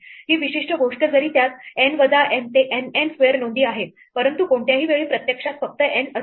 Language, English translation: Marathi, This particular thing though it has N minus N into N N square entries it will only have actually N ones at any given time